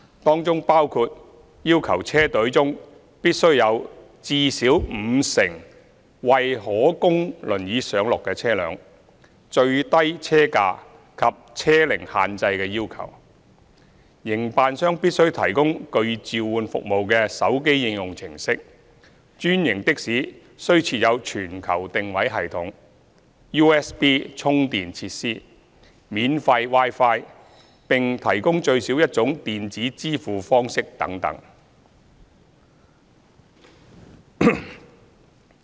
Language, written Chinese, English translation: Cantonese, 當中包括要求車隊中必須有至少五成為可供輪椅上落的車輛、最低車價及車齡限制的要求、營辦商必須提供具召喚服務的手機應用程式、專營的士須設有全球定位系統、USB 充電設施、免費 Wi-Fi， 並提供最少一種電子支付方式等等。, Such terms include the requirement that at least 50 % of the vehicle fleet shall be wheelchair accessible the minimum vehicle price requirement limit on vehicle age provision of mobile hailing applications by the operators and availability of global positioning system devices USB charging facilities and free Wi - Fi in the franchised taxis . Moreover at least one means of electronic payment should be provided